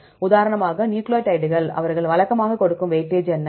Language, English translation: Tamil, For example, the case of nucleotides, right what are the weightage they give usually